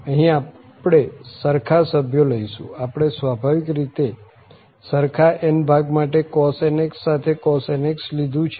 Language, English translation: Gujarati, So, here we are taking the same member we have taken the cos nx and with cos nx for same n of course